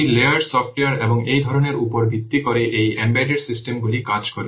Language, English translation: Bengali, This is the layered software and based on this concept this embedded systems work